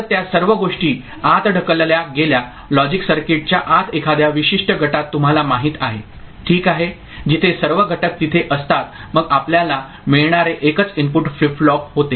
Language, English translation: Marathi, So, all those things pushed inside inside the logic circuit within a particular you know group ok, where all the elements are there then what we get is a single input flip flop